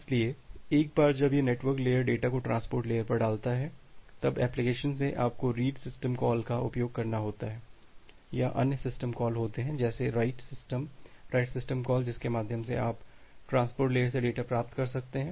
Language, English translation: Hindi, So so, once this network layer put the data at the transport layer, then the application, from the application, you have to use the read system call or there are other system calls like the write system, the write system call through which you will receive the data from the transport layer